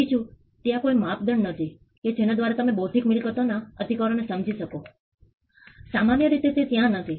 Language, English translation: Gujarati, Secondly, there is no yardstick by which you can understand intellectual property rights, it is simply not there